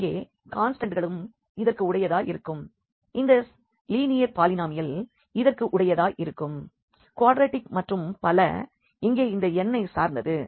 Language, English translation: Tamil, So, here the constants also belong to this, the linear polynomial belongs to this, quadratic at so and so on depending on this n here